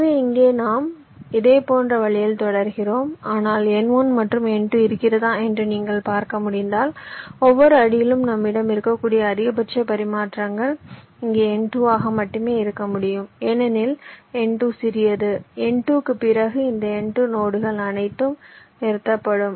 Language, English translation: Tamil, but if you can see, if we had n one and n two here, for at every step the maximum number of exchanges that we can have, maximum exchanges, can only be n two here, because n two is smaller after n two